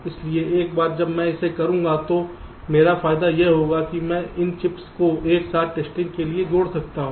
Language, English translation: Hindi, ok, so once i do it, my advantages that i can connect this chips together for testing